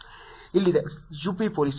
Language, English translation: Kannada, Here is UP Police